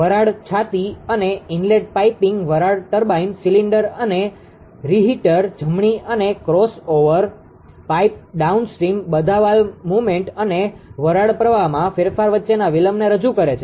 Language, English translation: Gujarati, And the inlet piping ah to the steam turbine cylinder and reheaters right ah and, crossover piping down the downstream all introduced delays between valve movement and change in steam flow